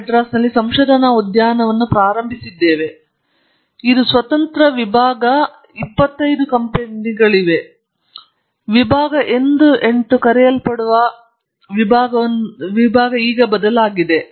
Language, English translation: Kannada, So, we started the IITM research park; it is an independent section 25 company, I think now the section has been changed, called section 8